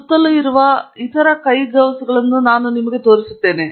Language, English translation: Kannada, I will show you other forms of gloves that are around